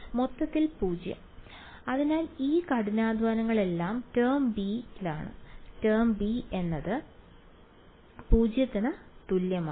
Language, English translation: Malayalam, Overall 0 right; so, all of this hard work is going to give term b right, term b is equal to 0 ok